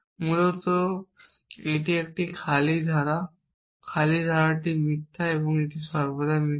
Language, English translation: Bengali, Basically it is an empty clause empty clause stands for false or it always false